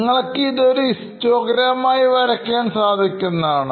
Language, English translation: Malayalam, How do you do this histogram plot